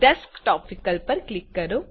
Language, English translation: Gujarati, Now click on the Desktop option